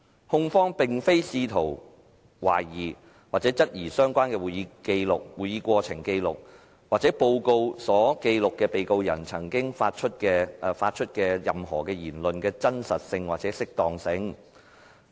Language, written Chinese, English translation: Cantonese, 控方並非試圖懷疑或質疑相關的會議過程紀錄或報告所記錄被告人發出的任何言論的真實性或適當性。, The prosecution is not seeking to question or challenge the veracity or propriety of anything said by the Defendant as recorded in the relevant records of proceedings or reports